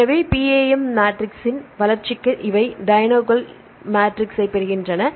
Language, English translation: Tamil, So, for development of the PAM matrix, these where they get the diagonal matrix